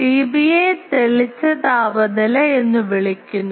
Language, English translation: Malayalam, T B is called brightness temperature